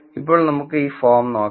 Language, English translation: Malayalam, So, now, let us look at this form right here